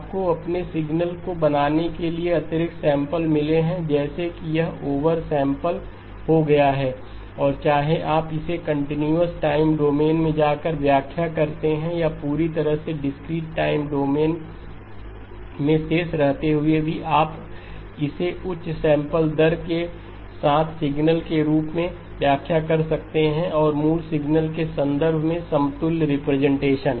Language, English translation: Hindi, You got additional samples to make your signal look like it has been over sampled and whether you interpret it by going into the continuous time domain or by remaining completely in the discrete time domain you can still interpret it as a signal with a higher sampling rate and equivalent representation with in terms of the original signal